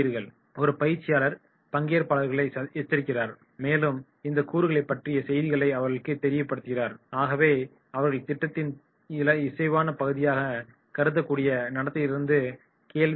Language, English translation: Tamil, This way a trainer alerts the participants and also send messages to these elements, they should refrain from behaviour that could be considered as consistent with the interest of the program